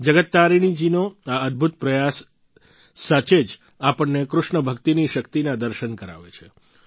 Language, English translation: Gujarati, Indeed, this matchless endeavour on part of Jagat Tarini ji brings to the fore the power of KrishnaBhakti